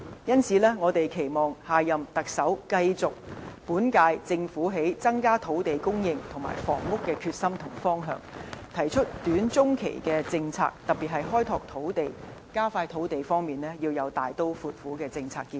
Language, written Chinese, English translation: Cantonese, 因此，我們期望下任特首繼續本屆政府在增加土地和房屋供應的決心和方向，提出短、中期的政策，特別是開拓土地，加快土地供應方面要有大刀闊斧的政策建議。, So we hope the next Chief Executive can maintain the current Governments determination and direction in terms of increasing supply of land and housing as well as to introduce policies in the short and medium run . In particular the next person holding the top post must put forward drastic policy recommendations in exploring and expediting land supply